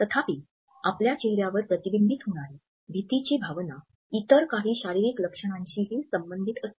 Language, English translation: Marathi, However, the sense of fear which is reflected in our face is often associated with certain other physical symptoms